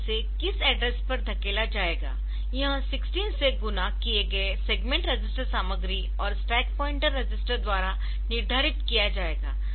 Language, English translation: Hindi, So, what address it will be pushed, so that will be determined by the segment register content multiplied by 16 plus the stack pointer register